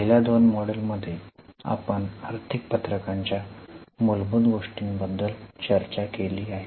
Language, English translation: Marathi, In the first two modules we have discussed the basics of financial statements